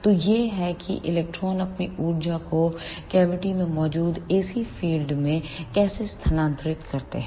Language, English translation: Hindi, So, this is how the electron transfer their energy to the ac field present in the cavity